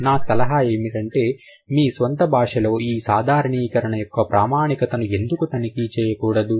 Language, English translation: Telugu, My suggestion for you would be why don't you check the validity of this generalization in your own language